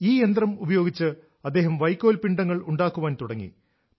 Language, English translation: Malayalam, With this machine, he began to make bundles of stubble